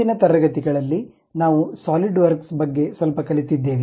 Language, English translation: Kannada, In the earlier classes, we have learned little bit about Solidworks